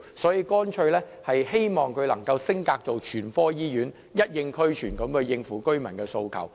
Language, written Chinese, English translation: Cantonese, 所以，我們希望北大嶼山醫院能升格成為全科醫院，全方位地回應居民的訴求。, This explains why we hope the North Lantau Hospital can be upgraded to a general hospital in response to the aspirations of residents on all fronts